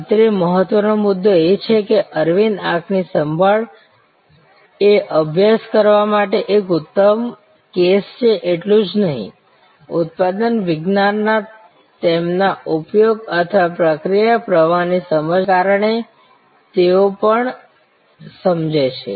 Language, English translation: Gujarati, Important point here that Aravind eye care is a great case to study not only because of their application of manufacturing science or process flow understanding they also understand